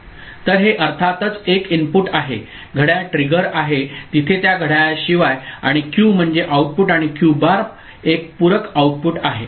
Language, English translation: Marathi, So, this is a single input of course, the clock trigger is there I mean, other than that clock; and the Q is the output and Q bar of course, a complementary output is there